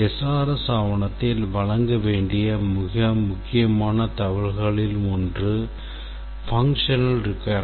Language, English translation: Tamil, We said it must, one of the most important information that SRS document is the functional requirement